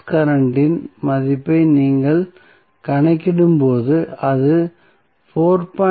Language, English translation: Tamil, So, when you calculate the value of source current it will become 4